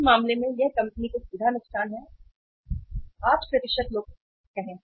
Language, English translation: Hindi, In this case this is direct loss to the, it is a direct loss to the company